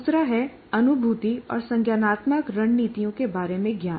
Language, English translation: Hindi, And the other one is knowledge about cognition and cognitive strategies